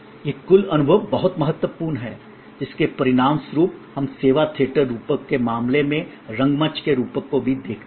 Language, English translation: Hindi, This total experience point is very important, as a result we also look at the metaphor of theater in case of service theater metaphor